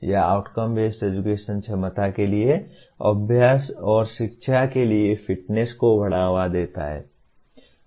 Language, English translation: Hindi, It makes outcome based education promotes fitness for practice and education for capability